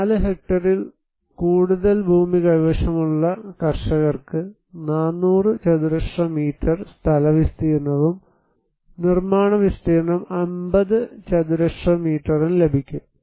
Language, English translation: Malayalam, Farmers with more than 4 hectare land holding, they can get 400 square meters plot area and construction area would be 50 square meters